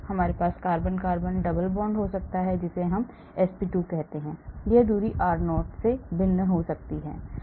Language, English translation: Hindi, we may have carbon carbon double bond we call it sp2, that distance r0 may be different